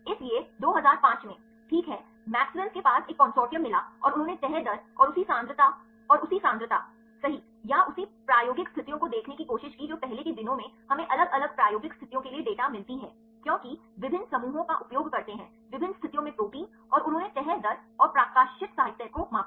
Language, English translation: Hindi, So, in 2005, right, the Maxwell’s they found a consortium and they try to see the folding rate and same concentrations and same concentrations, right or same experimental conditions in earlier days we get the data for the different experimental conditions because different groups they use the proteins at different a conditions and they measured the folding rates and the published literature